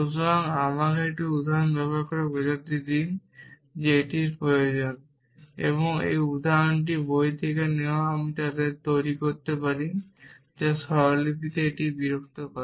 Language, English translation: Bengali, So, let me use an example to illustrate by this is needed and this example is from book by I can make them what which disturbs it in this notation